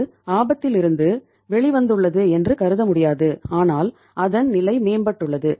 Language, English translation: Tamil, It cannot be considered that it has come out of the red but its position has improved